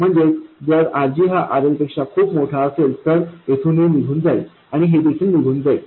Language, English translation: Marathi, So, if RG is much more than RL, this goes away and this also goes away